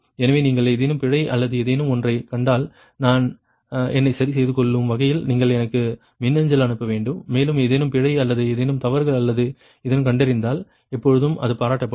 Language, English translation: Tamil, so if you find any error or anything, you should mail me such that i can rectify myself right and ah, you always appreciate if you can find out any error or any mistakes or anything has been made, it will be appreciated right